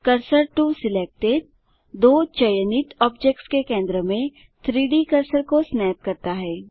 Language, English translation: Hindi, The 3D cursor snaps to the centre of the two selected objects